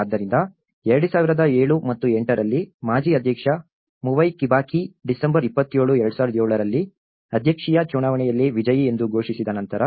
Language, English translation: Kannada, So, in 2007 and 2008, after the former President Mwai Kibaki was declared the winner of the presidential elections in December 27, 2007